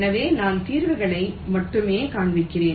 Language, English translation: Tamil, so i am showing the solutions only a